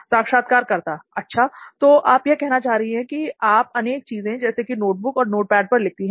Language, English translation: Hindi, So you are saying you write in multiple materials like notebook and notepad